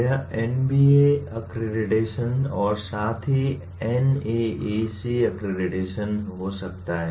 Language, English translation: Hindi, It can be NBA accreditation as well as NAAC accreditation